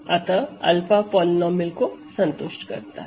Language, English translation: Hindi, So, alpha satisfies this polynomial